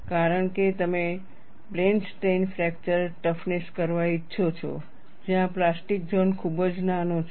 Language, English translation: Gujarati, Because you are wanting to do plane strain fracture toughness, where the plastic zone is very very small